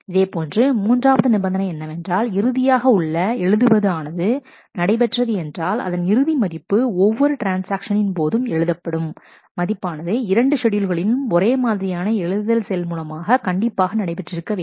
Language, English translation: Tamil, Similarly, the third condition says that the final write that is done, final value that it writes every transaction writes in both the schedules must be the same the same writes should operate